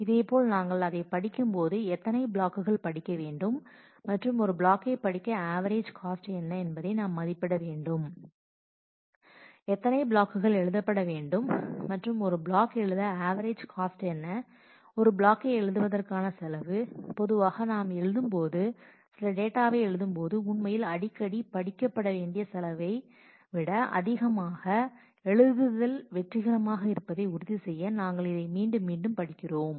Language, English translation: Tamil, Similarly, while we are reading that we need to estimate how many blocks to read and average cost to read a block, number of blocks to write average cost to write the block, cost to write the block is usually greater than the cost to read actually often when we write a write some data after writing we also usually read it back to make sure that the write was successful